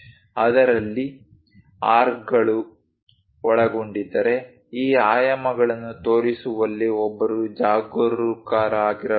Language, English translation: Kannada, If there are arcs involved in that, one has to be careful in showing these dimensions